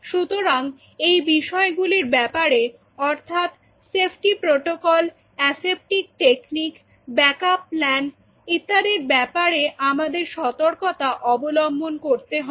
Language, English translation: Bengali, So, these are some of the points what you have to be really cautious in terms of safety protocols, in terms of aseptic techniques, in terms of backup plans and everything